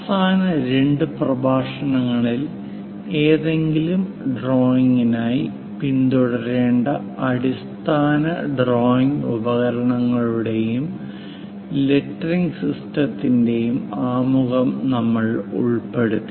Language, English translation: Malayalam, In the last two lectures we covered introduction, basic drawing instruments and lettering to be followed for any drawing